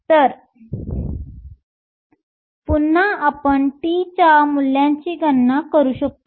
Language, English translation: Marathi, So, once again we can calculate the values of tau